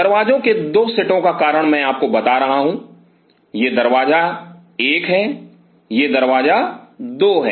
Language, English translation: Hindi, The reason for 2 sets of doors why I am telling you is, this is door one this is the door two